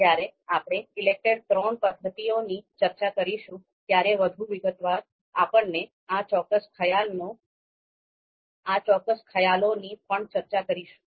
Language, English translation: Gujarati, So when we discuss the method ELECTRE III in more detail, then we will talk about these particular concepts as well in more detail